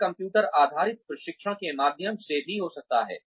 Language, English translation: Hindi, It could even be through computer based training